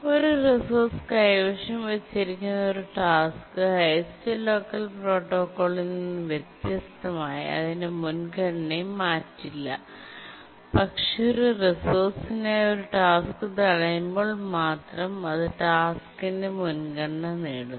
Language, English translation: Malayalam, A task that has holding a resource does not change its priority unlike the highest locker protocol, but only when a task blocks for a resource it inherits the priority of the task